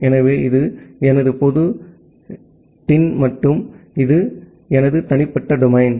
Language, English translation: Tamil, So, this is my public domain and this is my private domain